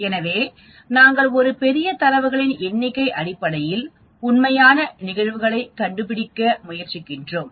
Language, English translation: Tamil, So, we are talking about based on a large number of data we are trying to find out the events actually